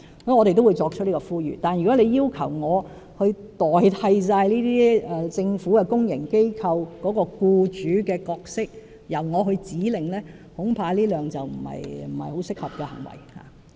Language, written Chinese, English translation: Cantonese, 我們會作出這個呼籲，但如果議員要求我代替政府公營機構的僱主角色，由我發出指令，恐怕不太合適。, We will make such an appeal but if Members request that I take over the role of public organizations as employers and issue an executive order I am afraid it may not be quite appropriate